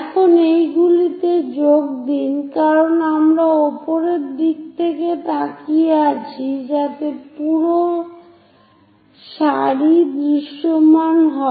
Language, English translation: Bengali, Now join these because we are looking from top view in that direction so entire row will be visible